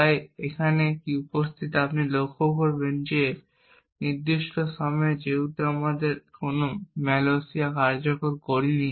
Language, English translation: Bengali, So what is missing here you would notice is that at this particular time since we have not execute any malloc as yet there is no heap that is present